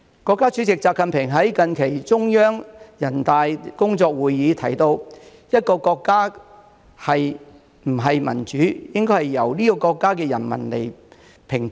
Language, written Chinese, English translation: Cantonese, 國家主席習近平在近期中央人大工作會議提到："一個國家是不是民主，應該由這個國家的人民來評判。, State President XI Jinping said recently at a central conference on work related to peoples congresses Whether a country is a democracy or not depends on whether its people are really the masters of the country